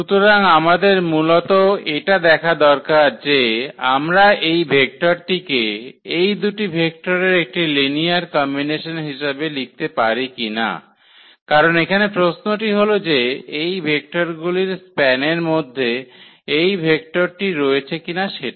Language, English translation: Bengali, So, what do we need to check basically can we write this vector as a linear combination of these two vectors because this is the question here that is this vector in the span of the vectors of this